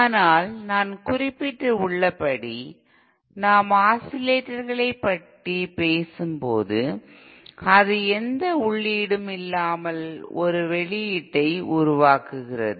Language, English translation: Tamil, But then as I mentioned, when we are talking about oscillators, it produces an output without any input